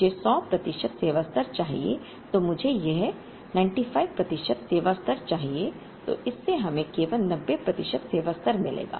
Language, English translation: Hindi, I want a 100 percent service level or I want a 95 percent service level, then this would give us only 90 percent service level